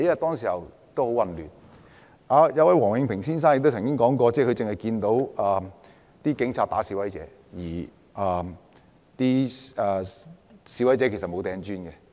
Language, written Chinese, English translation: Cantonese, 當時情況很混亂，王永平先生曾指出，他只看到警察毆打示威者，而示威者沒有扔磚頭。, The situation at that time was chaotic . Mr Joseph WONG pointed out that he only saw the Police beating protesters and protesters had not hurled bricks